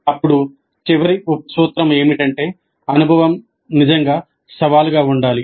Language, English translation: Telugu, Then the last sub principle is that the experience must really be challenging